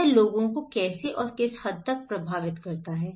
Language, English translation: Hindi, How and what extent it affects people